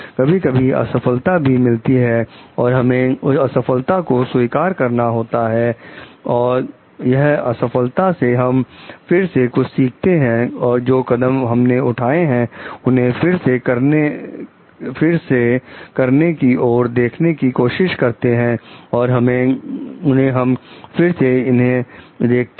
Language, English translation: Hindi, There are failures and we have to accept the failures; and from that failure we are going to learn again and like start redoing revisiting our steps and relooking into it